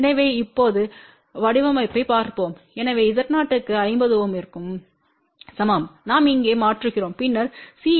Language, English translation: Tamil, So, now let just look at the design , so for Z 0 is equal to fifty ohm we substitute here and then C